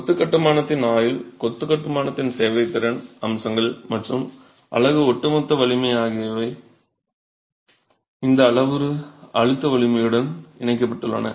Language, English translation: Tamil, Durability of the masonry construction, serviceability aspects of the masonry construction and the overall strength of the unit is linked to this parameter compressive strength